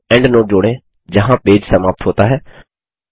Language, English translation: Hindi, Add a endnote stating where the page ends